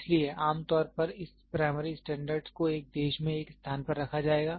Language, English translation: Hindi, So, generally this primary standard will be kept in one in a country in one place